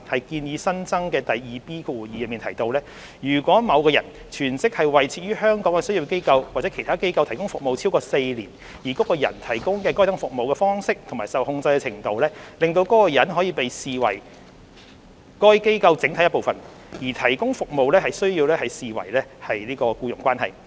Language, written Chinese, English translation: Cantonese, 建議新增的第 2B2 條提到，如果某人全職為設於香港的商業機構或其他機構提供服務超過4年，而該人提供該等服務的方式及受控制的程度，使該人可被合理視為該機構整體的一部分，則提供服務須視為僱傭關係。, The proposed new section 2B2 provides that if a person provides service on a full - time basis to a business or other organization in Hong Kong for a period of more than four years in a way and subject to a degree of control that the person may reasonably be regarded as an integral part of the organization such provision of service is to be regarded as employment